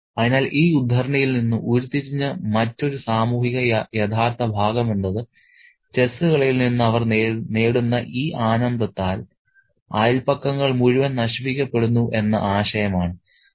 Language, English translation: Malayalam, So, the other social realistic part that we derive from this extract is the idea that the entire neighborhood is getting ruined by this pleasure that they derive from the game of the chess